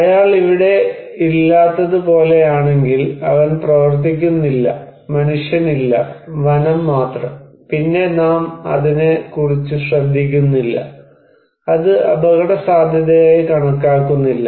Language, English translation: Malayalam, If it is like that where he is not here, he is not working, no human being, only forest, then we do not care about it, we do not consider it as risky